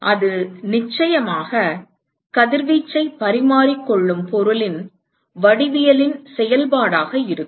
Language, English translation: Tamil, And it is of course, going to be a function of the geometry of the material which is exchanging radiation